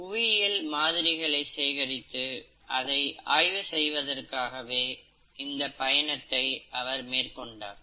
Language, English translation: Tamil, He essentially joined this voyage as a geologist who wanted to collect geological specimens and study them